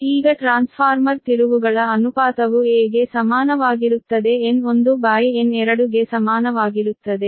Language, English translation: Kannada, right now, the trans transformer turns ratio is equal to a, is equal to, you know, n one upon n two right